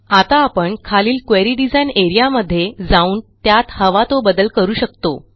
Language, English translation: Marathi, Now we can go to the query design area below and change it any way we want